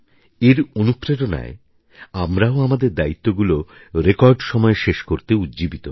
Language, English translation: Bengali, This also inspires us to accomplish our responsibilities within a record time